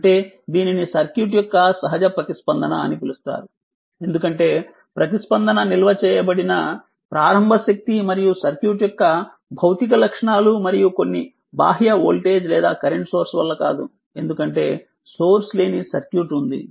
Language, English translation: Telugu, That means this is called your natural response of the circuit, because the response is due to the initial energy stored and the physical characteristic of the circuit right and not due to some external voltage or current source, because there is a source free circuit